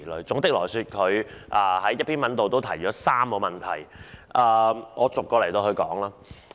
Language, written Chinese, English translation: Cantonese, 總體而言，他在一篇文章中提到3個問題，讓我逐一討論。, Generally speaking one of his articles highlights three problems . Let me discuss them one by one